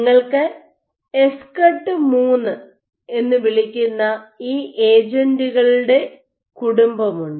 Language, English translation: Malayalam, So, you have this family of agents called ESCRT III